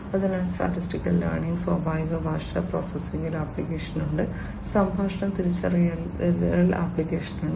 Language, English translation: Malayalam, So, statistical learning has applications in natural language processing, has applications in speech recognition, etcetera